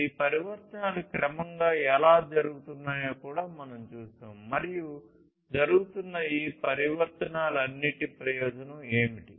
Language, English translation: Telugu, And we have also seen how that these transformations are happening gradually and what is the benefit of all these transformations that are happening